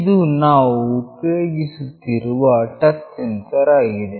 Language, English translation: Kannada, This is the touch sensor that we have used